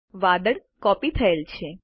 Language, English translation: Gujarati, The cloud has been copied